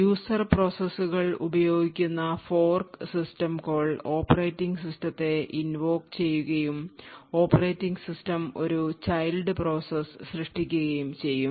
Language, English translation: Malayalam, The fork system called which is used by the user processes would invoke the operating system and then the operating system would create a child process